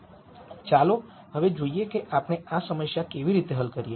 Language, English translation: Gujarati, Now, let us see how we solve this problem